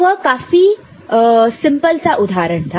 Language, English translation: Hindi, So, that was a very simple example